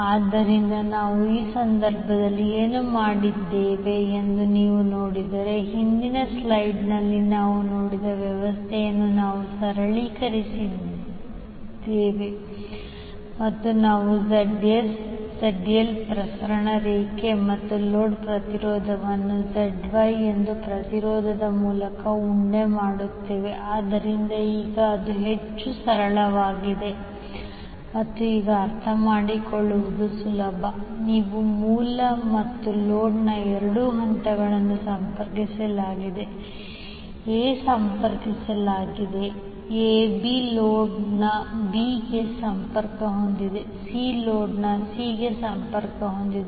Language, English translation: Kannada, So if you see in this case what we have done, we have simplified the arrangement which we saw in the previous slide and we lump the ZS, Z small l for transmission line and the load impedance through a impedance called ZY, so now it is much simplified and easy to understand now you say that both phases of source and load are connected, A is connected A, B is connected to B of the load, C is connected to C of the load